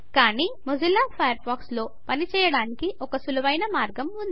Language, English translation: Telugu, But there is an easier way to do the same thing with Mozilla Firefox